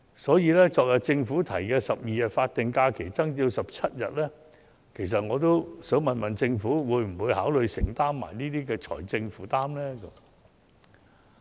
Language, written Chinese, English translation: Cantonese, 所以，對於政府昨天提出將12天法定假日增至17天，我亦想詢問政府會否考慮一併承擔有關的財政負擔呢？, Therefore I also wish to ask the Government whether it will also consider the idea of taking up the financial burden resulting from the increase in the number of statutory holidays from 12 days to 17 days as proposed by the Government yesterday